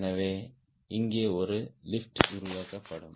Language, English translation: Tamil, so there will be a lift generated here